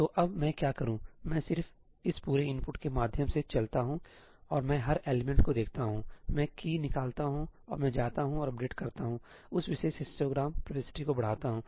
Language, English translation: Hindi, So, now, what do I do I just run through this entire input and I look at every element, I extract the key and I go and update, increment that particular histogram entry